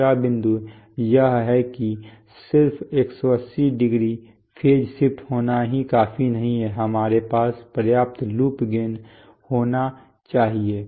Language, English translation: Hindi, The second point is that but just having 180˚ phase shift is not enough, we should have enough loop gain